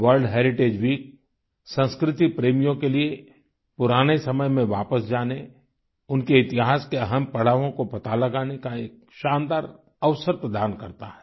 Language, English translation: Hindi, World Heritage Week provides a wonderful opportunity to the lovers of culture to revisit the past and to know about the history of these important milestones